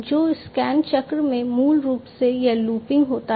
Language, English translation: Hindi, So, in the scan cycle, basically this looping happens